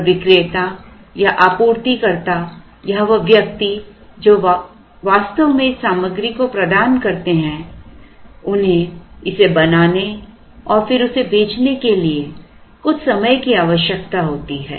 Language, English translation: Hindi, So, the vendor or the person or the supplier who actually provides this material also requires some time to make this and then sell it